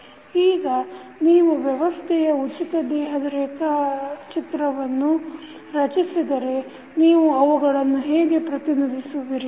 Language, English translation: Kannada, Now, if you create the free body diagram of the system, how you will represent